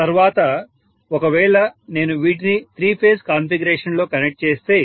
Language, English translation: Telugu, So this will be connected in three phase configuration